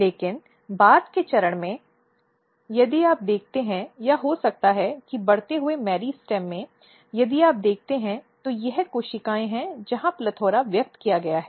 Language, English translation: Hindi, But at the later stage, if you look or maybe in the growing meristem if you look so this is the cells this is the cells where PLETHORA are expressed, this is the cell where PLETHORA are expressed